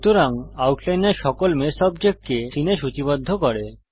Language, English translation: Bengali, So the outliner lists all the mesh objects in the scene